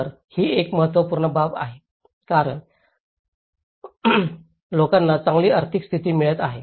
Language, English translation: Marathi, So, this is one of the important considerations because and people are getting a better economic status